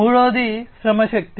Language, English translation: Telugu, Third is the work force